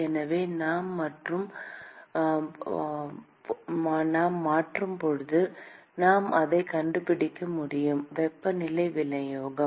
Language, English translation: Tamil, And so, when we substitute we can find that the temperature distribution